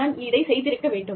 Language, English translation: Tamil, I should have done that